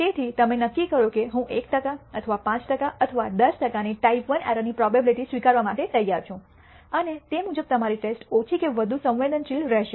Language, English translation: Gujarati, So, you decide that I am willing to accept a type I error probability of 1 per cent or 5 percent or 10 percent, and accordingly your test will be less or more sensitive